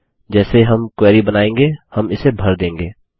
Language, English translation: Hindi, As we design the query, we will fill these up